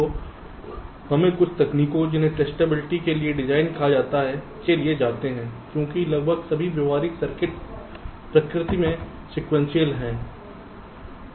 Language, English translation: Hindi, so we have to go for some techniques called design for testability, because almost all the practical circuits are sequential in nature